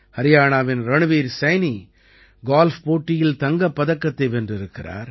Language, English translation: Tamil, Haryana's Ranveer Saini has won the Gold Medal in Golf